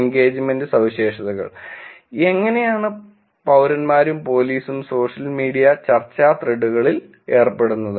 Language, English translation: Malayalam, Engagement characteristics; how do the citizens and police engage in social media discussion threads